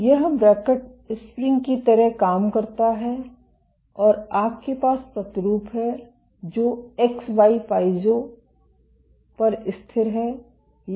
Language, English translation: Hindi, So, this cantilever acts like a spring and you have the sample which is resting on an X Y Piezo